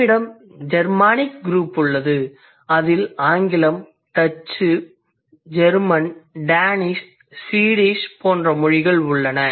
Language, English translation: Tamil, We have Germany group which includes languages like English, Dutch, German, Danish and Swedish